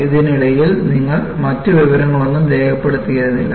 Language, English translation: Malayalam, So, you do not record any other information in between